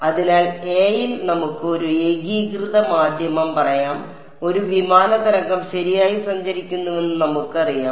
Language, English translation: Malayalam, So, in a, let us say a homogeneous medium, we know that a plane wave is traveling right